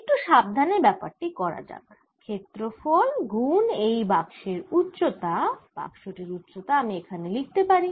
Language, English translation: Bengali, let's do it little more carefully: area times the height of the boxi can write the height of the box here